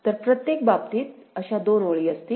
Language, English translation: Marathi, So, two such rows will be there in every case